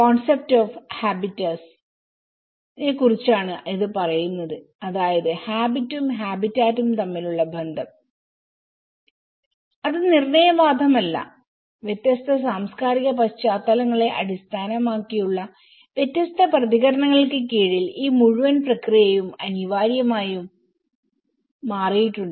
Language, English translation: Malayalam, It talks about the concepts of habitus the relation between habit and the habitat which is not determinist and this whole process has anyways inevitably altered under different responses based on the different cultural backgrounds